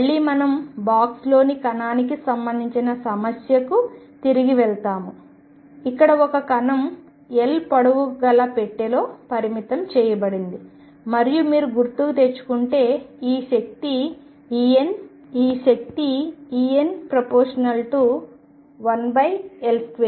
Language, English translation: Telugu, Again we go back to particle in a box problem, where a particle was confined in a box of length L and if you recall this energy en was proportional to 1 over L square